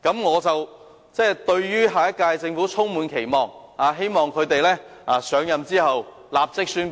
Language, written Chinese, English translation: Cantonese, 我對下屆政府充滿期望，希望新政府上任後會立即宣布相關措施。, I am full of expectations for the next - term Government . I hope the new Government will immediately announce the relevant measures after its assumption of office